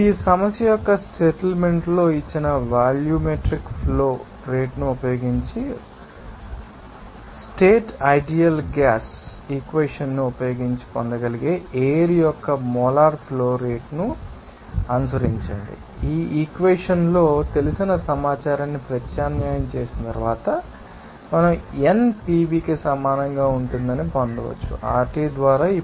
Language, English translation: Telugu, Now, in that case, you have to now follow that molar flow rate of air that can obtain using ideal gas equation of state using you know volumetric flow rate given in the problem statement, whatever it is after substitute that known information into this equation, we can get that n will be equal to PV by RT